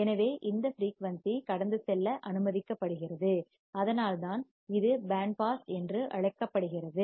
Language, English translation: Tamil, So, this frequency is allowed to pass and that is why it is called band pass